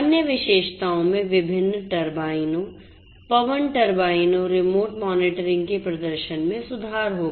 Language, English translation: Hindi, The other features would be improving the power the performance of different turbines, wind turbines you know remote monitoring